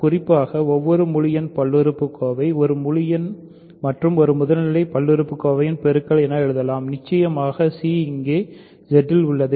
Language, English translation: Tamil, In particular we can write every integer polynomial as a product of an integer and a primitive polynomial; of course, c is in Z here because